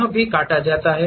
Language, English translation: Hindi, This is also cut